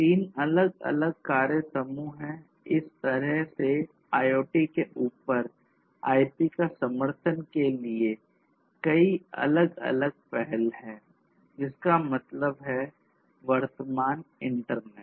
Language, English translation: Hindi, 3 different working groups are there like this there are multiple different initiatives in order to have support of I IoT over IP; that means, the existing internet